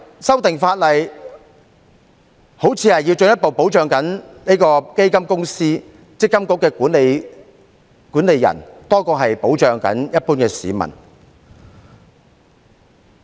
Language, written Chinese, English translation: Cantonese, 修訂法例好像是進一步保障基金公司、積金局管理人多於一般市民。, It seems that the amendment to the Ordinance seeks to further protect fund companies MPFA and the managing organization rather than the general public